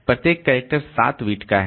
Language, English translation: Hindi, 5 million characters each character is 7 bit